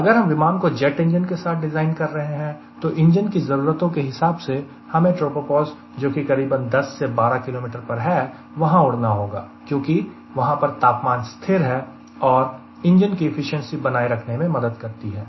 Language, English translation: Hindi, if we have designing an aircraft with a jet engine and all typically you will like that from the engine requirement they will like to fly at tropo powers around ten to twelve kilometers because of temperature being constant ah, and it helps the engine to maintain its efficiency